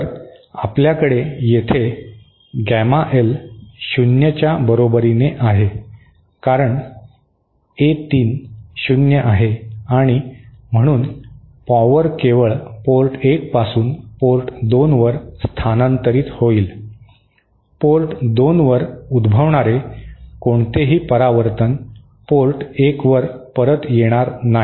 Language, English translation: Marathi, So, we have here Gamma L is equal to 0, because of that A3 is 0 and so power will transfer only from port 1 to port 2, any reflection happening at port 2 will never come back to port 1